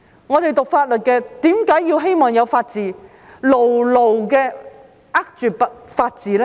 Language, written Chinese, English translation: Cantonese, 我們唸法律的人為何希望有法治，並要牢牢地握住法治呢？, Why do we who have studied law hope for the rule of law and firmly uphold it?